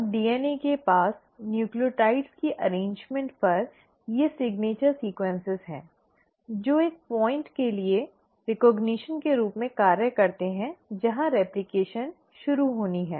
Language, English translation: Hindi, Now DNA has these signature sequences on its arrangement of nucleotides, which act as recognition for a point where the replication has to start